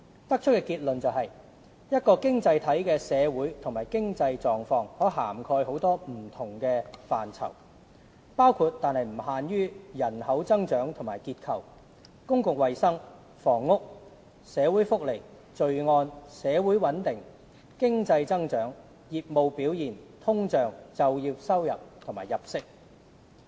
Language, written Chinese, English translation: Cantonese, 得出的結論是，一個經濟體的"社會和經濟狀況"可涵蓋很多不同範疇，包括但不限於人口增長與結構、公共衞生、房屋、社會福利、罪案、社會穩定、經濟增長、業務表現、通脹、就業收入和入息。, It was concluded that the social and economic conditions of an economy could embrace many different aspects including but not limited to population growth and structure public health housing social welfare crime social stability economic growth business performance inflation employment earnings and income